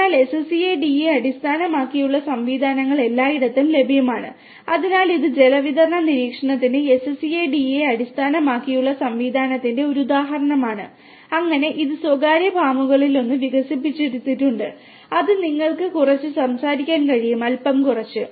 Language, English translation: Malayalam, So, SCADA based systems are available everywhere and you know so this is an example of the use of SCADA based system in for water distribution monitoring and so on and so, this has been developed by one of the private farms what it can you speak little bit about